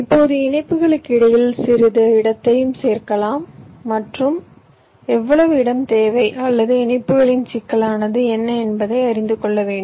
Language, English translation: Tamil, in addition, as i said, you can also add some space in between for interconnections, which means you need to know how much space is required or what is the complexity of the interconnections, right